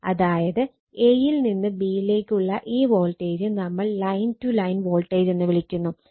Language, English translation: Malayalam, This that V a b is equal to V a n minus V b n that means, your what we call this voltage a to b, we call line to line voltage